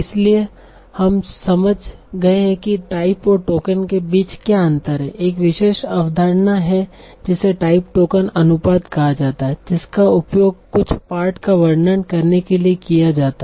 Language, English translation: Hindi, Now, so once we have understood what is the distinction between type and token, there is a particular concept that is called type token ratio